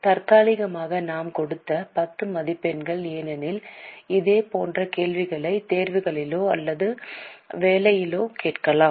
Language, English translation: Tamil, 10 marks have given tentatively because similar questions can be asked in the exam or in the assignment